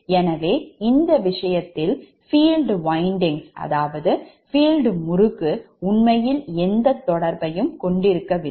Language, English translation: Tamil, so in this case field winding actually has no influence